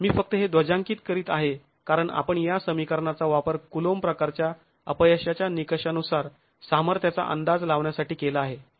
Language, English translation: Marathi, I'm just flagging this off because it's an important aspect as you use these equations to estimate the strength according to the Kulum type failure criterion